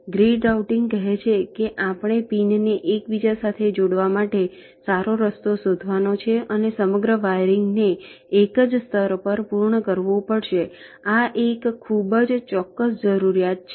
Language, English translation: Gujarati, grid routing says that we have to find out a good path to interconnect the pins, and the entire wiring has to be completed on a single layer